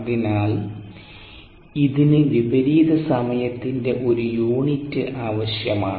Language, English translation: Malayalam, so it needs to have a unit of time inverse